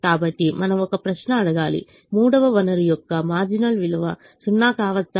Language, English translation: Telugu, so we have to ask a question: can the marginal value of the third resource be zero